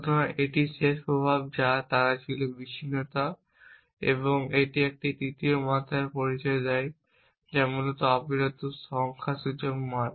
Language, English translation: Bengali, So, that is a end effect that is they were abreaction and that introduces a third dimension which is that of continues numerical values essentially